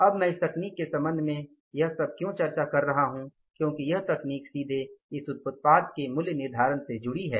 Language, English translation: Hindi, Now why I am discussing all this is with regard to this technique because this technique is directly linked to the pricing of the product